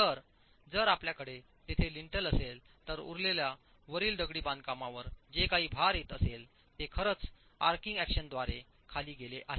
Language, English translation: Marathi, So if you had a lintel there, the rest of the load, whatever is coming onto the masonry above the opening has actually gone down to the sides by the arching action